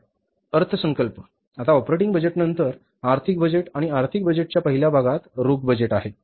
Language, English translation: Marathi, Now, after the operating budget, financial budgets, and in the first part of the financial budget is the cash budget